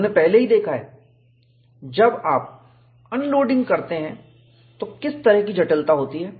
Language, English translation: Hindi, We have already seen, what is the kind of complexity, when you have unloading